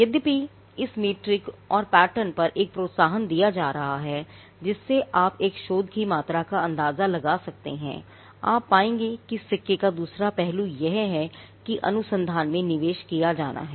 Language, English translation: Hindi, Though there is a push on this metric and patterns being a metric by which you can gauge the amount of research that is happening, you will find that the other side of the coin is that there has to be investment into research